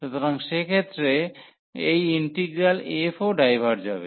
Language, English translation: Bengali, So, in that case this integral f will also diverge